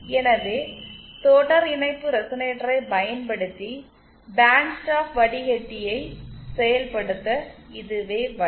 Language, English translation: Tamil, So this is the way to implement a band stop filter using a series resonator